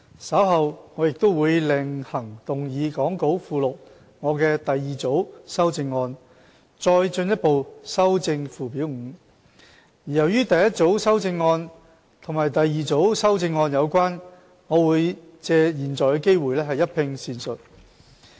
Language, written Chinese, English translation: Cantonese, 稍後我亦會另行動議講稿附錄我的第二組修正案，再進一步修正附表 5， 而由於第一組修正案與第二組修正案有關，我會藉現在的機會一併闡述。, Later on I will move the second group of my amendments as set out in the Appendix to the Script to further amend Schedule 5 . As the first group of amendments is related to the second group I will take this opportunity to elaborate both groups of amendments together